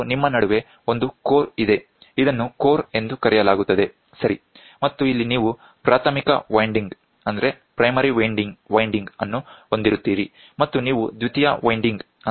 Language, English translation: Kannada, And in between you have a core, this is called the core, ok and here you will have primary winding and you will have secondary winding